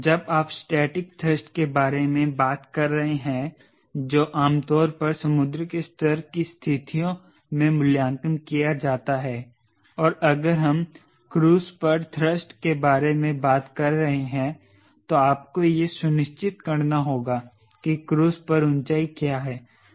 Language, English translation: Hindi, when you are talking about static thrust, which is generally rated at sea level conditions, and if we are talking about thrust at cruise, we must ensure that what is the altitude at cruise